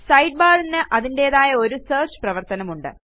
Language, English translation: Malayalam, The Sidebar even has a search function of its own